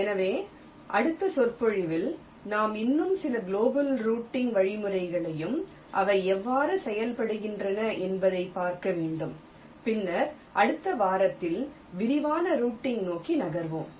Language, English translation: Tamil, ok, fine, so for next lecture we should looking at some more global routing algorithms, so how they work, and then we will shall be moving towards detailed routing in the next week